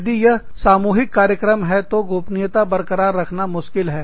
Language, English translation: Hindi, If, it is a common program, maintaining confidentiality, becomes difficult